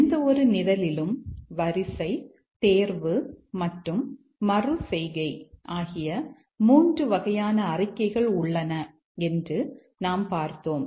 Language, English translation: Tamil, And we said that there are three types of statements in any program, the sequence selection and iteration